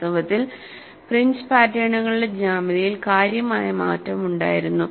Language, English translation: Malayalam, Indeed the geometry of the fringe patterns had a significant change